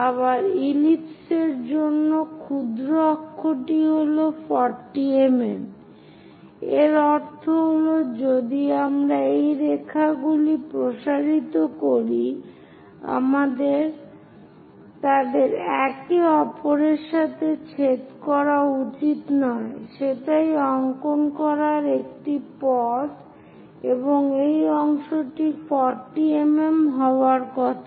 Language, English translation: Bengali, And the minor axis for an ellipse supposed to be 40 mm, that means, if we are extending these lines, they should not be get intersected that is a way one has to draw, and this part supposed to be 40 mm